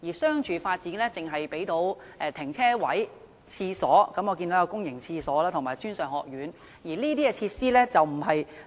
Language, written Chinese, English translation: Cantonese, 商住發展項目只可以提供停車位、公共廁所及專上學院等，但這些都不是市民想要的設施。, A residential cum commercial development project can only provide parking spaces public toilets and tertiary institutions but these are not facilities that members of the public want